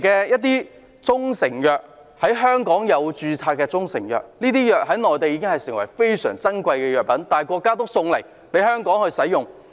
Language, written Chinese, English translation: Cantonese, 有些中成藥已在香港註冊，這些藥物在內地非常珍貴，但國家仍送給香港使用。, Some proprietary Chinese medicines which have been registered in Hong Kong are very precious on the Mainland but the Central Government has still sent them to Hong Kong as gifts